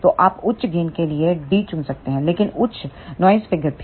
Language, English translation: Hindi, So, you can choose d for higher gain, but higher noise figure also